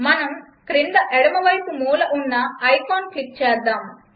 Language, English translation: Telugu, Let us click the icon at the bottom left hand corner